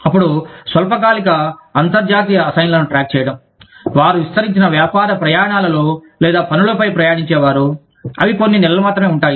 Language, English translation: Telugu, Then, keeping track of short term international assignees, who maybe commuting on extended business trips, or on assignments, that last only a few months